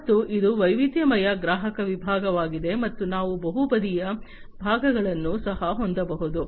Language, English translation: Kannada, And this is diversified customer segment and we can also have multi sided segments